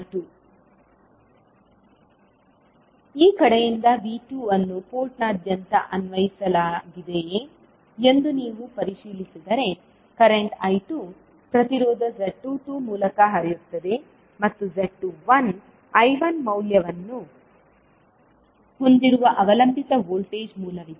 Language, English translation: Kannada, From this side, if you check that V2 is applied across the port, current I2 is flowing across the through the impedance Z22 and there is a dependent voltage source having value Z21 I1